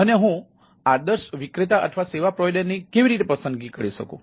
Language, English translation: Gujarati, and how do i choose a ideal vendor or a service provider is one of the major challenge